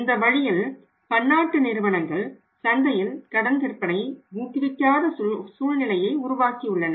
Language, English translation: Tamil, And in a way these MNC have created a say situation in the market where they do not encourage the credit sales